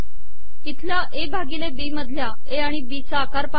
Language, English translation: Marathi, Look at the size of A and B here and the size of A by B